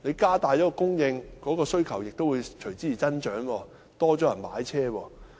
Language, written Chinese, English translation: Cantonese, 加大供應，但需求亦會隨之而增加，會有更多人買車。, Increase in supply will be followed by increase in demand and more people will hence buy vehicles